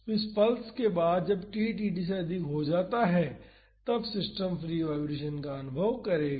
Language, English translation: Hindi, So, after this pulse that is when t is more than td, then the system will experience free vibration